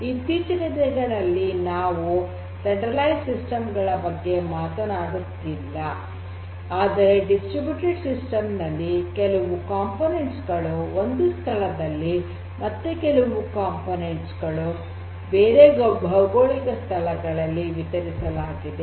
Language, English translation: Kannada, Nowadays we are talking about not centralized systems, but distributed systems which have certain parts or components in one location and other parts are geo distributed located in another geographic location